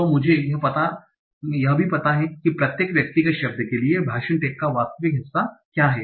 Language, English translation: Hindi, So I also know what is the actual part of speech tag for each of the individual word